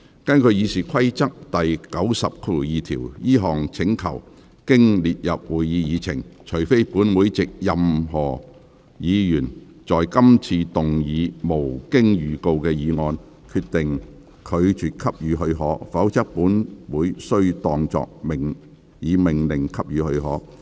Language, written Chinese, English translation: Cantonese, 根據《議事規則》第902條，這項請求經列入會議議程，除非本會藉任何議員在今次會議動議無經預告的議案，決定拒絕給予許可，否則本會須當作已命令給予許可。, In accordance with Rule 902 of the Rules of Procedure RoP upon placing the request on the Agenda the Council shall be deemed to have ordered that the leave be granted unless on a motion moved without notice at this meeting by any Member and the Council determines that such leave shall be refused